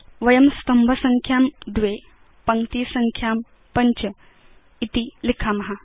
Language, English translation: Sanskrit, We will change the Number of columns to 2 and the Number of rows to 5